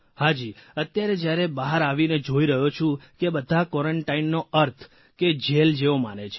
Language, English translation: Gujarati, Yes, when I came out, I saw people feeling that being in quarantine is like being in a jail